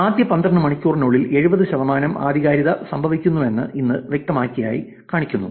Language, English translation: Malayalam, This clearly shows that 70 percent of authentications in the first 12 hours